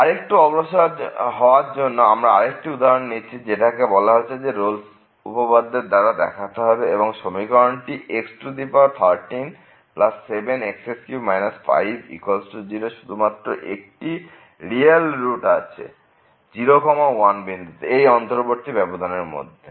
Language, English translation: Bengali, So, moving further this is another example which says the using Rolle’s Theorem show that the equation this x power 13 plus 7 x power 3 minus 5 is equal to 0 has exactly one real root in [0, 1], in the closed interval [0, 1]